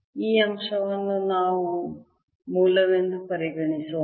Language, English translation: Kannada, let us take this point to be origin, all rights